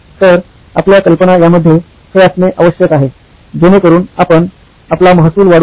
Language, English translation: Marathi, So your ideas have to be in this so that you can increase your revenue